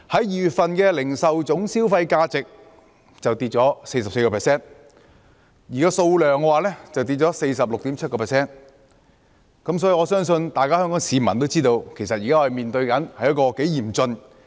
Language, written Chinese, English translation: Cantonese, 2月份的零售業銷貨價值便下跌 44%， 零售業總銷貨數量則下跌 46.7%， 所以，我相信香港市民也知道我們現時面對的情況如何嚴峻。, For the month of February the value index of retail sales has decreased by 44 % whereas the total retail sales volume has dropped by 46.7 % . Hence I believe the people of Hong Kong can also tell how dire the situation we are in